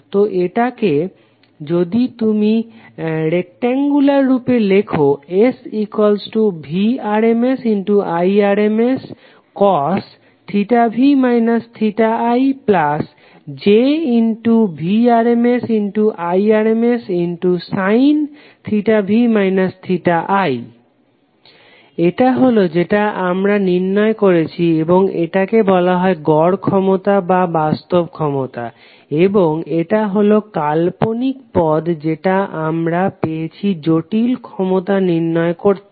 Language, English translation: Bengali, So if you write into rectangular form the complex power is nothing but Vrms Irms cos theta v minus theta i plus j Vrms Irms sin theta v minus theta i this is something which we have already derived and that is called average power or real power and this is imaginary term which we have got in derivation of the complex power